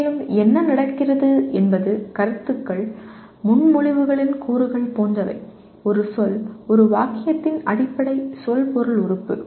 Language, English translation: Tamil, And also what happens is concepts are like elements of propositions much the same way a word is a basic semantic element of a sentence